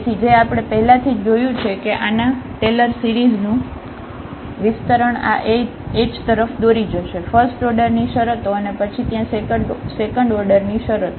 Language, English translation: Gujarati, So, which we have already seen that the Taylor series expansion of this will lead to this h, the first order terms and then the second order terms there